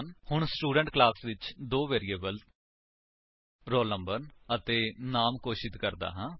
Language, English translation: Punjabi, So, inside this class Student, let me declare two variables roll Number and name